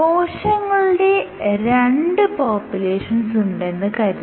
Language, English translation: Malayalam, So, if you have two cells imagine if two big populations of cells